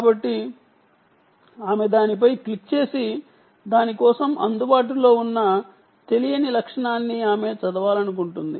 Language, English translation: Telugu, so she clicks on that and then, for that, there is an unknown characteristic that is available and she wants to read that